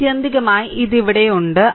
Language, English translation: Malayalam, So, ultimately this whatever is there